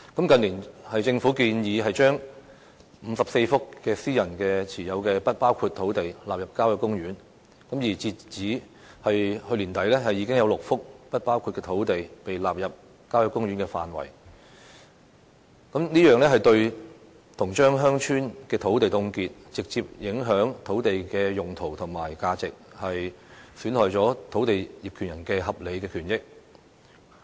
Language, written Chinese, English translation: Cantonese, 近年，政府建議把54幅私人持有的"不包括土地"納入郊野公園的範圍，而截至去年年底，已經有6幅"不包括土地"被納入郊野公園的範圍，這樣等於把鄉村的土地凍結，直接影響土地的用途及價值，亦損害了土地業權人的合理權益。, In recent years the Government proposed to incorporate privately - owned enclaves into country parks . Up to late last year six enclaves were already incorporated into country parks . So doing has in effect frozen our village lands and directly affected the uses and values of such lands while also compromising the reasonable rights and interests of land owners